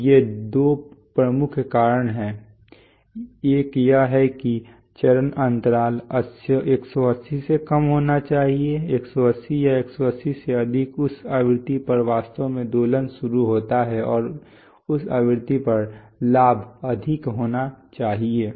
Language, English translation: Hindi, So these are the two major reasons one is that the phase lag should be less than 180 more than 180 or 180 at that frequency actually oscillation starts and the gain at that frequency should be high